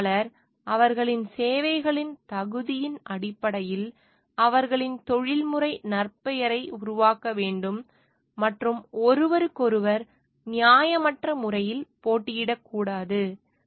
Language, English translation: Tamil, The engineer shall build their professional reputation on the merit of their services and shall not compete unfairly with each other